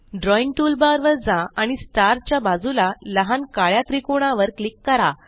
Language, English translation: Marathi, Go to the Drawing toolbar and click on the small black triangle next to Stars